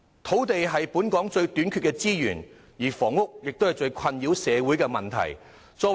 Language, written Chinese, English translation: Cantonese, 土地是本港最短缺的資源，房屋也是社會人士感到最困擾的問題。, While land is in the shortest supply in Hong Kong housing is also a problem badly troubling members of the community